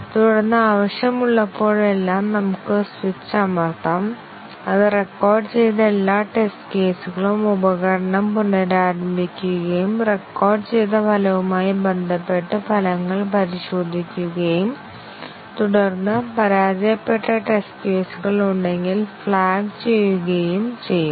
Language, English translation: Malayalam, And then, whenever needed we can just press the switch and it will, the tool will rerun all the test cases which were recorded and check the results with respect to the recorded result and then, flag if any failed test cases are there